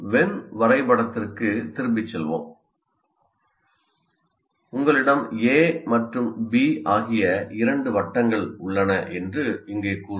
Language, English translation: Tamil, So getting back to when diagram, let's say here you have two circles, A and B, and then this is A union B